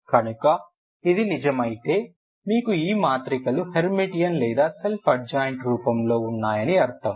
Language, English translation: Telugu, So if this is true you have this matrices Hermitian, ok or self adjoint ok or self adjoint matrix, self adjoint matrix, ok